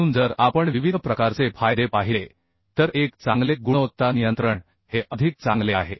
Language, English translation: Marathi, So if we look into the different type of advantages, one is the better quality control